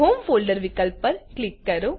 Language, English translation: Gujarati, Click on the home folder option